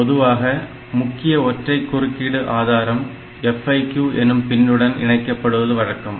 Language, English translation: Tamil, So, generally a single critical interrupt source is connected to the FIQ pin